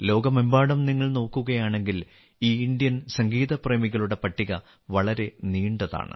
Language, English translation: Malayalam, If you see in the whole world, then this list of lovers of Indian music is very long